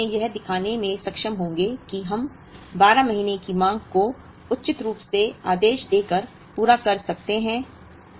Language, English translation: Hindi, We will be actually able to show that, we can meet the 12 months demand by suitably ordering this